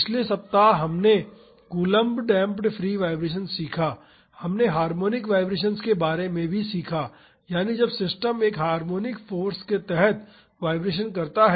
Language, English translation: Hindi, In the previous week we learnt coulomb damped free vibration, we also learned about harmonic vibrations, that is when the system vibrates under a harmonic force